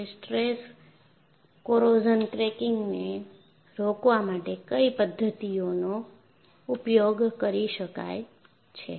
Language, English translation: Gujarati, What are the methods that could be used to prevent stress corrosion cracking